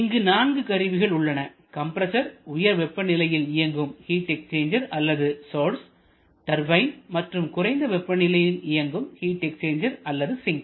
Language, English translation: Tamil, Here there are 4 components compressor, high temperature heat exchanger source, turbine and the sink or low temperature heat exchanger